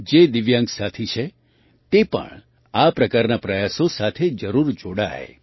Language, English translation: Gujarati, Divyang friends must also join such endeavours